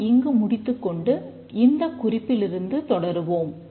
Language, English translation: Tamil, We'll stop here and continue from this point